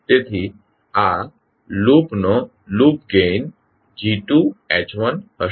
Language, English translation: Gujarati, So the loop gain of this loop will be G2s into H1s